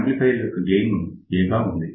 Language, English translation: Telugu, So, we have an amplifier with a gain equal to A